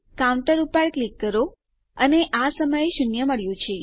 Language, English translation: Gujarati, Click on counter and weve got zero at the moment